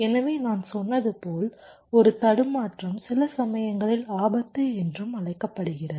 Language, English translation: Tamil, so, as i had said, a glitch, which sometimes is also known as hazard